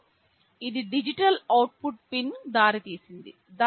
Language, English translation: Telugu, And this led is a digital output pin